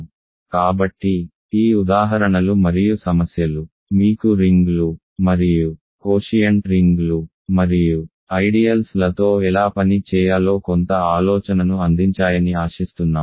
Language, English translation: Telugu, So, hopefully these examples and problems gave you some idea how to work with rings and quotient rings and ideals